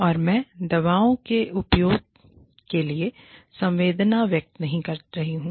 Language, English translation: Hindi, And, i am not condoning, the use of drugs